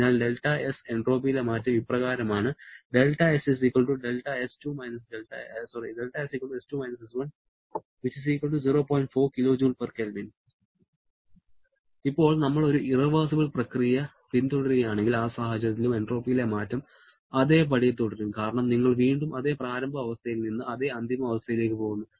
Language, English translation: Malayalam, Now, if we follow an irreversible process, even in that case also, the change in entropy will remain the same because again you are going away from the same initial state back to the same final state